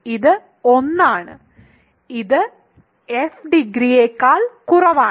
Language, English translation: Malayalam, It is 1 which is strictly less than degree of f which is 2